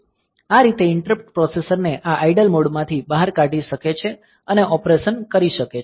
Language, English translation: Gujarati, So, this way interrupt can take the processor out of this idle mode and do the operation